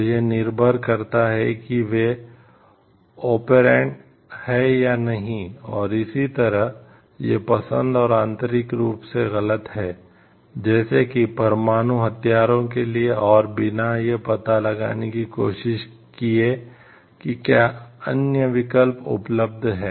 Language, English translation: Hindi, So, whether they are operant or not and so, based on that this is taken to be and intrinsically wrong to like, go for nuclear weapons and without trying to find out maybe if other alternatives are available or not